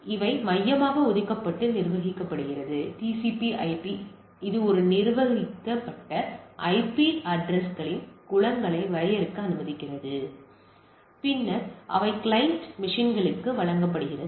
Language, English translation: Tamil, So, it is centrally allocated and managed TCP/IP, allows a administrator to define pools of IP address which are then allocated the client computers in the things